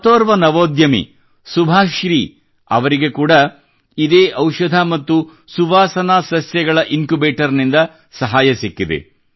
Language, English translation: Kannada, Another such entrepreneur is Subhashree ji who has also received help from this Medicinal and Aromatic Plants Incubator